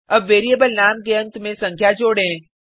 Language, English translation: Hindi, Now let us add the number at the end of the variable name